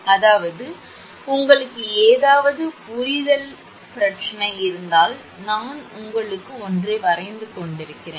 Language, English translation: Tamil, I mean if you have any understanding problem that I am just drawing one for you